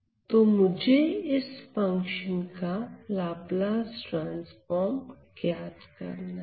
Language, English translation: Hindi, So, I have to calculate the Laplace transform of this function